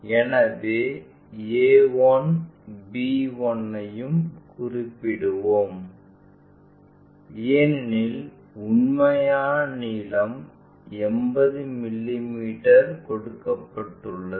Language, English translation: Tamil, So, a 1 b 1 also let us locate it because thetrue length is 80 mm is given